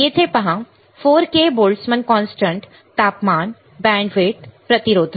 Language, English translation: Marathi, See here 4 k Boltzmann constant, temperature, bandwidth, resistant right